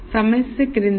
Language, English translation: Telugu, The problem is the following